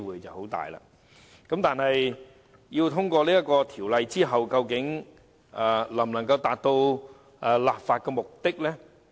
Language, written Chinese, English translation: Cantonese, 《條例草案》獲通過後，究竟能否達到其立法目的？, Can the Bill actually achieve its legislative intent after it is passed?